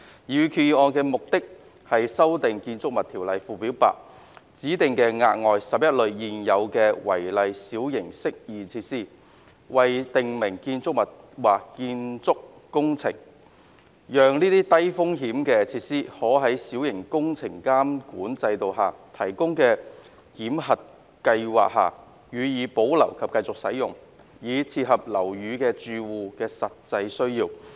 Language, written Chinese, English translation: Cantonese, 擬議決議案的目的，是修訂《建築物條例》附表 8， 指定額外11類現有違例小型適意設施為訂明建築物或建築工程，讓這些較低風險的設施可在小型工程監管制度下提供的檢核計劃下予以保留及繼續使用，以切合樓宇住戶的實際需要。, The proposed resolution seeks to amend Schedule 8 to the Buildings Ordinance to designate an additional 11 types of existing unauthorized minor amenity features as prescribed building or building works so that such lower risk features can be retained for continued use under the validation scheme provided in the Minor Works Control System MWCS to meet the genuine needs of building occupants